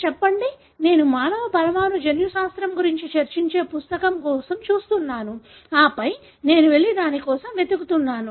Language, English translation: Telugu, Say, I am looking for a book that discusses about human molecular genetics, and then I go and search for it